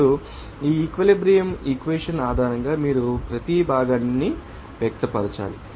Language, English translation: Telugu, Now, based on this equilibrium equation, you have to express for each component